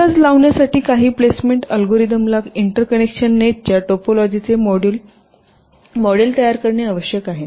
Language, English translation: Marathi, so for making an estimation, some placement algorithm needs to model the topology of the interconnection nets